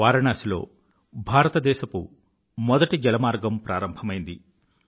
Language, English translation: Telugu, India's first inland waterway was launched in Varanasi